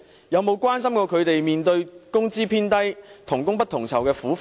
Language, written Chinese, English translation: Cantonese, 有否關心他們工資偏低、同工不同酬的苦況？, Are they concerned about their plights of earning excessively low wages and different pay for the same work?